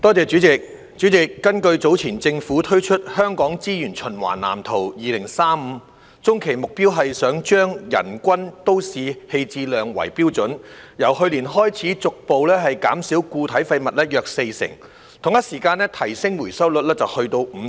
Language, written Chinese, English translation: Cantonese, 主席，根據早前政府推出的《香港資源循環藍圖2035》，中期目標是希望以人均都市棄置量為標準，由去年開始，逐步減少固體廢物約四成，並於同一時間提升回收率至 55%。, President according to the Waste Blueprint for Hong Kong 2035 unveiled by the Government earlier using the per capita municipal solid waste MSW disposal rate as the yardstick the medium - term goal is to gradually reduce the MSW disposal rate by around 40 % gradually starting from last year while at the same time raising the recovery rate to 55 %